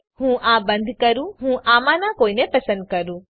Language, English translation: Gujarati, SO let me close this , so let me choose one of these